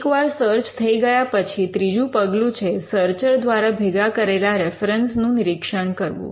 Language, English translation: Gujarati, Once the search is done, the third step would be to review the references developed by the searcher